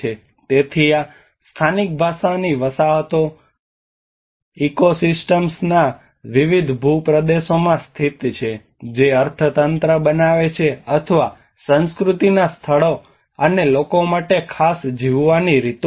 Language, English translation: Gujarati, So these vernacular settlements are located in different terrains within ecosystems creating economies, or ways of living particular to culture place and people